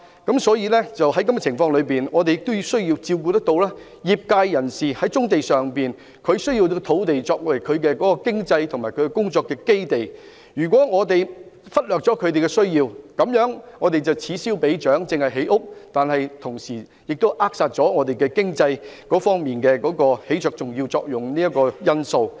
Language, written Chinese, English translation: Cantonese, 在這個情況下，我們亦要照顧業界人士的需要，他們需要棕地作為經濟和工作的基地，如果我們忽略了他們的需要，這樣便會此消彼長，只顧建屋，卻扼殺了他們在經濟方面起着重要作用的因素。, Under this circumstance we should also give regard to the needs of the trades concerned . They need to use these brownfield sites as their economic and operation bases . If we neglect their needs we will create other problems despite the satisfaction of housing demand